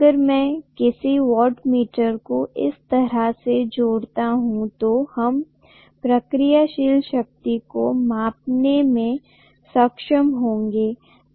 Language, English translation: Hindi, If I connect a wattmeter somewhat like this, we will be able to measure the reactive power